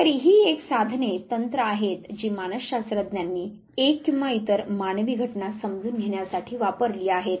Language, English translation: Marathi, So, this is overall the tools the techniques that are used by psychologists to understand one or the other human phenomena